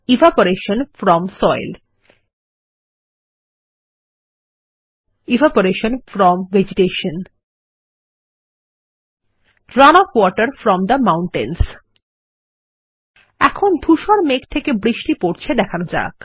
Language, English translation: Bengali, Evaporation from soil Evaporation from vegetation Run off water from the mountains Lets show rain falling from the grey clouds